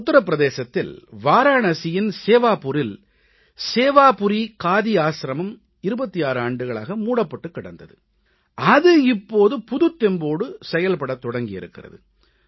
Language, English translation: Tamil, Sewapuri Khadi Ashram at Varanasi in Uttar Pradesh was lying closed for 26 years but has got a fresh lease of life now